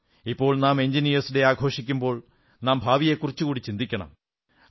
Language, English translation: Malayalam, While observing Engineers Day, we should think of the future as well